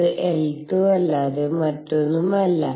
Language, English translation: Malayalam, And this is nothing but L z